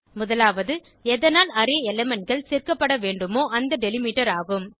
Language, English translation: Tamil, 1st is the delimiter by which the Array elements needs to be joined